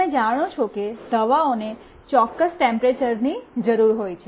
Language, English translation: Gujarati, You know medicines need certain temperature